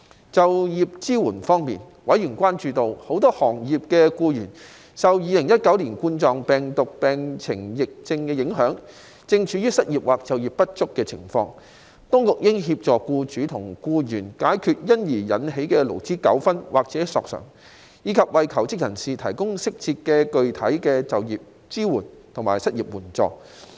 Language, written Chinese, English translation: Cantonese, 在就業支援方面，委員關注到，很多行業的僱員，受2019冠狀病毒病疫情影響，正處於失業或就業不足的情況，當局應協助僱主和僱員解決因而引起的勞資糾紛或索償，以及為求職人士提供適時及具體的就業支援和失業援助。, On employment support members were concerned that employees in many sectors were currently unemployed or underemployed due to the COVID - 19 epidemic so the Administration should assist employers and employees to resolve labour disputes or claims arising therefrom and provide job seekers with timely and specific employment support as well as unemployment assistance